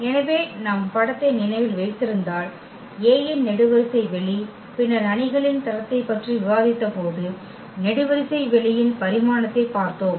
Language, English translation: Tamil, So, if we remember the image A is the column space of A and then the dimension of the column space when we have discussed the rank of the matrix